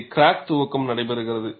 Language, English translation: Tamil, And here crack initiation takes place